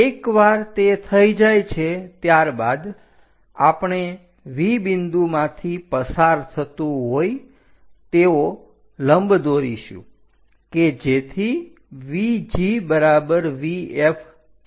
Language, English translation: Gujarati, Once that is done, we draw a perpendicular VG is equal to VF passing through V point